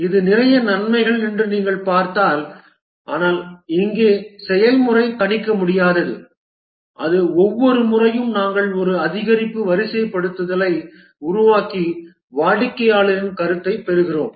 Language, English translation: Tamil, We've seen that it's a lot of advantages but then here the process is unpredictable that is each time we develop an increment deploy deploy and get the customer feedback